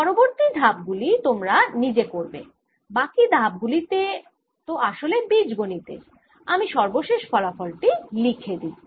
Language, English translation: Bengali, i'll now leave the rest of the steps for you, rest of the steps of algebra, and write the final result